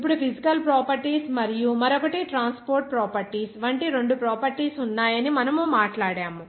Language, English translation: Telugu, Now, we have talked about that there are two properties like one is physical properties and the other is transport properties